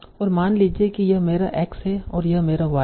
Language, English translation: Hindi, And this is my, suppose my x and this is my y